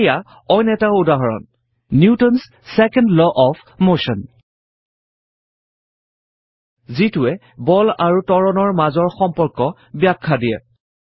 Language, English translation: Assamese, Here is another example: Newtons second law of motion which describes the relationship between acceleration and force F is equal to m a